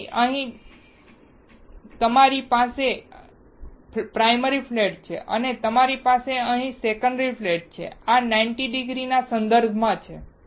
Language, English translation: Gujarati, So, you have primary flat here and you have secondary flat here, this is 90 degree, with respect to primary flat